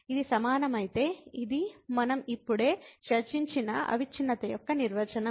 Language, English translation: Telugu, If this is equal, then this is the definition of the continuity we have just discussed